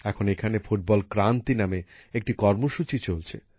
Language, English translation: Bengali, Now a program called Football Kranti is also going on here